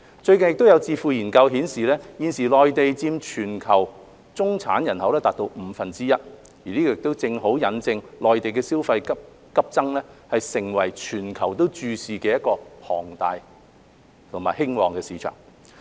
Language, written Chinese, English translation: Cantonese, 最近有智庫研究顯示，現時內地佔全球中產人口達五分之一，這正好引證內地消費急增，成為全球注視的龐大和興旺市場。, As shown in a recent think - tank study the current middle - class population in the Mainland accounts for one - fifth of that in the world which precisely proves the rapid growth of consumption in the Mainland making it a huge and blooming market which draws global attention